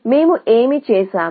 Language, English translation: Telugu, What have we done